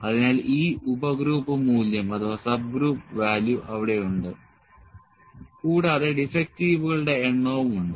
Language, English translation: Malayalam, So, and this subgroup value is there and the number of defective is there